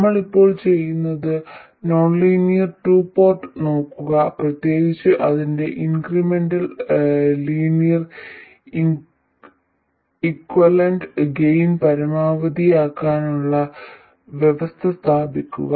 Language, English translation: Malayalam, What we will now do is look at the nonlinear 2 port, specifically its incremental linear equivalent and establish the conditions for maximizing the gain